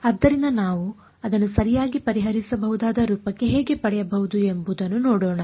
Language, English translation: Kannada, So, let us see how we can get it into the a form that we can solve right